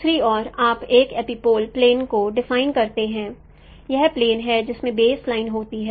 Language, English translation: Hindi, On the other hand you define an epipolar plane